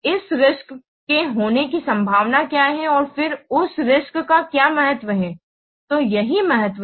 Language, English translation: Hindi, What is the possibility that this risk will occur and then what is the importance of that risk